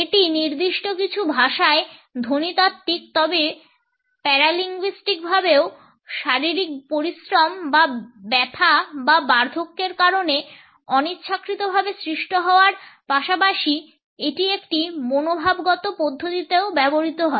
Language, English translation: Bengali, It is phonological in certain languages but paralinguistically also besides being caused involuntarily by physical exertion or pain or old age for that matter, it is also used in an attitudinal manner